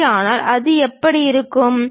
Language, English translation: Tamil, If that is the case how it looks like